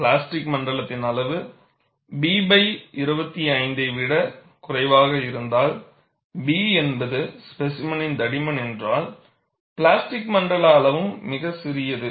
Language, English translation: Tamil, If the size of the plastic zone is less than B by 25, where B is the thickness of the specimen, the plastic zone size is very small